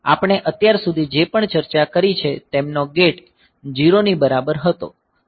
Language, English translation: Gujarati, So, whatever we have discussed so far, their gate was equal to 0